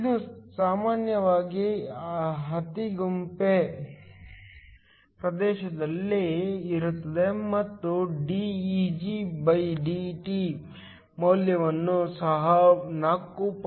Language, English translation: Kannada, This typically lies in the infrared region and the value of dEgdT is also given 4